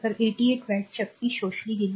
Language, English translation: Marathi, So, 88 watts so, power absorbed